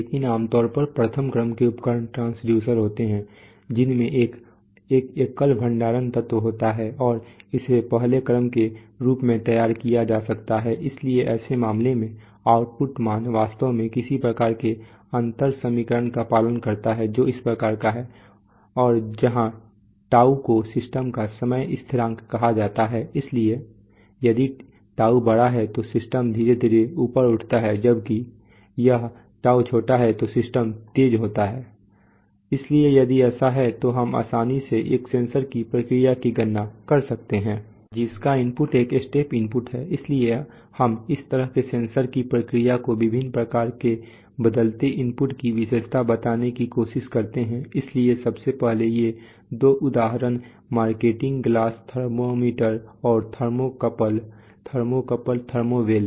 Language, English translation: Hindi, But so typically first order instruments are transducer that contain a single storage element and can be modeled of a first order, so in for such cases the output value actually obeys some kind of a differential equation which is of this type, you know and where τ is called the time constant of the system, so if τ is larger than the system slowly rise, Rises while it if τ is short then the system is fast